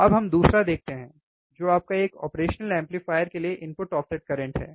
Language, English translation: Hindi, Now, let us see the second, one which is your input offset current for an operational amplifier